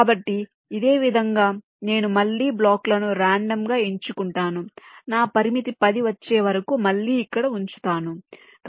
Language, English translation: Telugu, so in a similar way, i again pick the blocks randomly, i place them here until my limit of ten is again reached